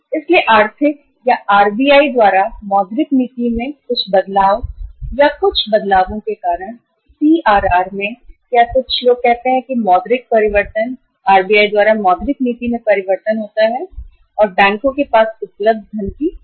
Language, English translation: Hindi, So because of some changes uh in the economic or in the monetary policy by RBI or some changes in the CRR or some other uh say monetary changes, monetary policy changes by the RBI if there is a there is a reduction of the funds available with the bank